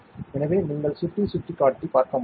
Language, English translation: Tamil, So, you can see the mouse pointer